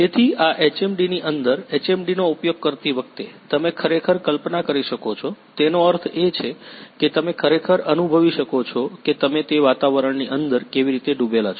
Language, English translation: Gujarati, So, while using the HMD in inside this HMD you can actually visualize means actually you can feel that how you are immersed inside that environment